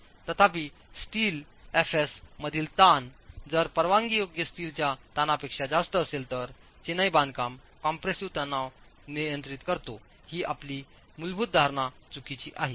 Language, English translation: Marathi, However, if the stress in steel, fs is greater than the permissible steel stress, then your basic assumption that the masonry compressive stress governs is wrong